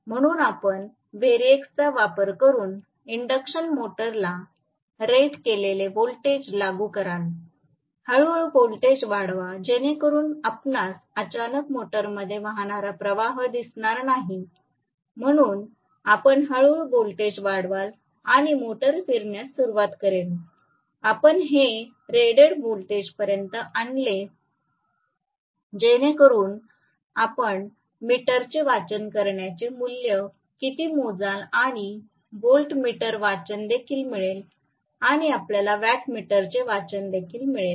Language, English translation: Marathi, So, you will apply rated voltage to the induction motor by using a variac, slowly increase the voltage so you will not see a jerk of current suddenly flowing into the motor, so you will slowly increase the voltage and the motor will start rotating, you will bring it up to the rated voltage you will measure what is the value of ammeter reading, and you will also get the voltmeter reading and you will also get the wattmeter readings